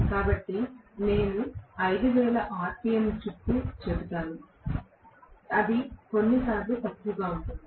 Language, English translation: Telugu, So, I would say around 500 rpm it can be sometimes less as well